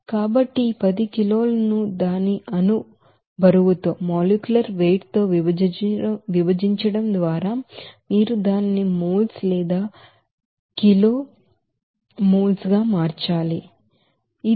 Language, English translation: Telugu, So you have to convert it to moles or kg moles just by dividing this 10 kg by its molecular weight